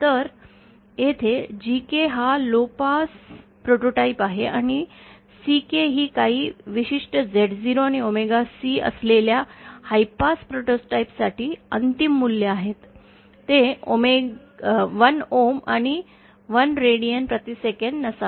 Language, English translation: Marathi, So, here GK are the lowpass prototype and CK are the final values for the high pass prototypes with certain Z0 and omega C, they need not be equal to 1 ohms and 1 radians per second